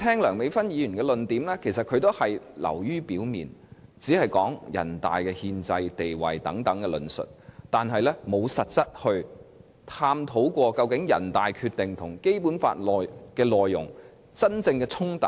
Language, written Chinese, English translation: Cantonese, 梁美芬議員提出的論點也是流於表面的，她只提出人大憲制地位等論述，卻沒有實際探討究竟人大《決定》和《基本法》內容的真正衝突為何。, Dr Priscilla LEUNGs arguments are rather superficial . She only talks about the constitutional status of NPC without going into the actual conflicts between the contents of the NPCSCs Decision and the Basic Law